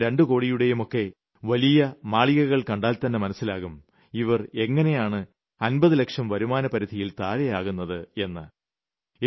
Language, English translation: Malayalam, Just looking at their bungalows worth 1 or 2 crores, one wonders how they can be in a tax bracket of less than 50 lakhs